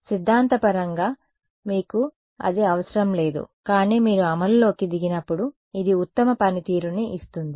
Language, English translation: Telugu, Theoretically you need do not need this, but when you get down to implementation this is what gives the best performance